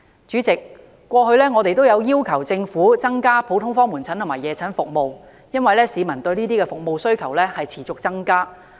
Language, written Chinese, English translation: Cantonese, 主席，我們過去也要求政府增加普通科門診和夜診服務，因為市民對有關服務的需要持續增加。, President we have also been asking the Government to increase general outpatient and night clinic services because peoples demand for these services has been increasing